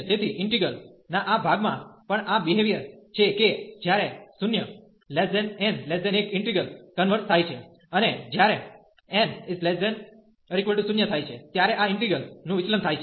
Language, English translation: Gujarati, So, this part of the integral also have this behavior that when n is between 0 and 1, the integral converges; and when n is less than equal to 1, this integral diverges